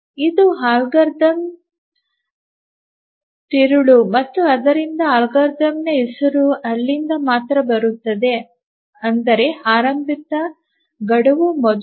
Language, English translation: Kannada, So, this is the crux of the algorithm and the name of the algorithm comes from here earliest deadline first